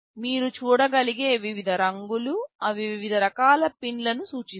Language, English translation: Telugu, See the various colors you can see, they indicate different categories of pins